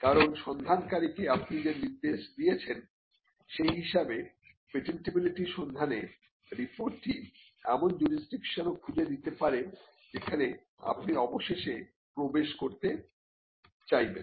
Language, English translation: Bengali, Because, the patentability search report depending on the mandate you give to the searcher can also search for jurisdictions where you want to enter eventually